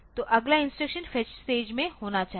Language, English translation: Hindi, So, the next instruction should be in the fetch stage